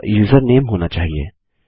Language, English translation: Hindi, This should be username